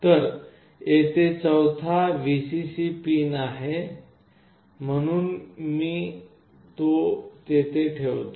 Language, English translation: Marathi, So, the Vcc pin here is the fourth pin, so I put it there